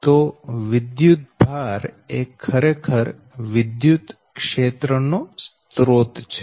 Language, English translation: Gujarati, so electric charge actually is a source of your electric field, right